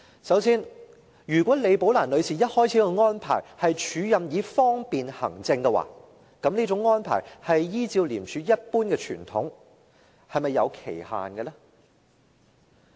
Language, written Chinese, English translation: Cantonese, 首先，如果李寶蘭女士一開始的安排是署任以方便行政的話，依照廉署一貫的傳統，這種安排是否有期限呢？, First if Ms Rebecca LIs acting appointment was intended for administrative convenience then according to the usual practice of ICAC was there any time limit for the acting appointment? . When should such an acting appointment end?